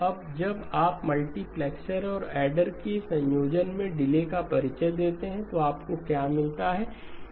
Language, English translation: Hindi, Now when you introduce delays in combination with the multipliers and adders, what do you get